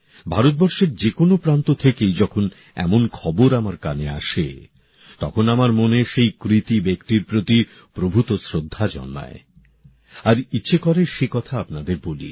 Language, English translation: Bengali, Whenever such news come to my notice, from any corner of India, it evokes immense respect in my heart for people who embark upon such tasks…and I also feel like sharing that with you